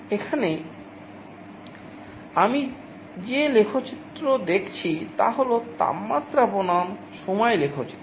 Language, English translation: Bengali, Here, the graph that I am showing is a temperature versus time graph